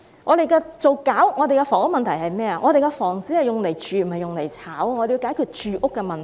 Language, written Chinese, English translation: Cantonese, 我們處理房屋問題時，應注意房子是用來住而不是用來炒賣的，我們要解決住屋的問題。, In handling the housing problem we should note that housing is for people to live in not for speculation . We need to resolve the housing problem